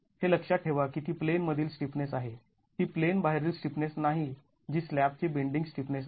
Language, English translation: Marathi, It is not the out of plane stiffness which is the bending stiffness of the slab